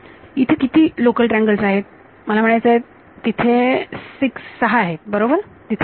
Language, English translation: Marathi, How many local triangles I mean local triangles there are six are there right